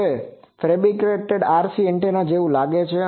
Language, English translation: Gujarati, Now, this is a fabricated RC bowtie antenna looks like